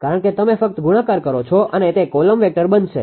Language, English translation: Gujarati, Because this is ah just you multiply it will become a column vector